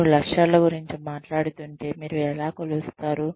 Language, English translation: Telugu, How do you measure, if you are talking about targets